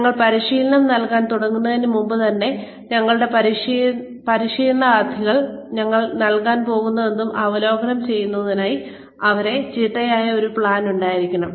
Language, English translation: Malayalam, So, even before we start imparting the training, we should have, a very systematic plan in place, for reviewing, whatever we are going to give our trainees